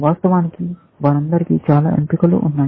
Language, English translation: Telugu, Of course, there are many choices that they all have